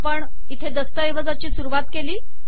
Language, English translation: Marathi, We have begun the document here